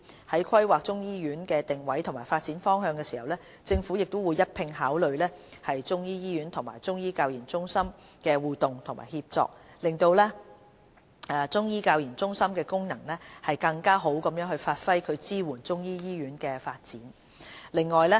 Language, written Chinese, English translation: Cantonese, 在規劃中醫醫院的定位及發展方向時，政府會一併考慮中醫醫院與中醫教研中心的互動及協作，讓中醫教研中心的功能更好地發揮並支援中醫醫院的發展。, In planning the positioning and development direction of the Chinese medicine hospital the Government will consider the interaction and synergy between the Chinese medicine hospital and CMCTRs so as to optimize the functions of CMCTRs which in turn will provide better support for the development of the Chinese medicine hospital